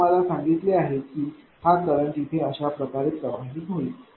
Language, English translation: Marathi, I told you this current will be moving like this